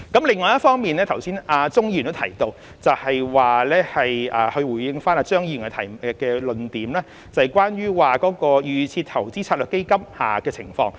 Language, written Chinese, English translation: Cantonese, 另一方面，正如剛才鍾議員亦有提到，是他回應張議員的論點，即關於預設投資策略成分基金的情況。, On the other hand as mentioned by Mr CHUNG earlier he was responding to Mr CHEUNGs point about the situation of DIS constituent funds